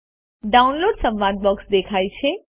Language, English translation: Gujarati, The Downloads dialog box appears